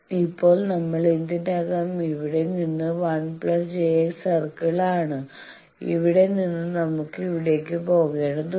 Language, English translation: Malayalam, Now, we are already on the 1 plus J X circle from here we will have to go here, how that can be done